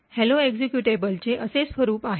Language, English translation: Marathi, So, the hello executable has a format like this